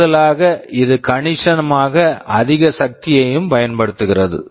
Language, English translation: Tamil, In addition it also consumes significantly higher power